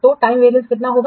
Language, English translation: Hindi, So, time variance will be how much